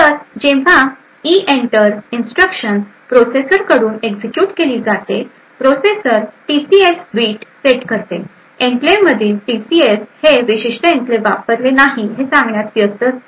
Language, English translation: Marathi, So, when the EENTER instruction is executed by the processor, the processor would set TCS bit the TCS in enclave too busy stating that this particular enclave is not used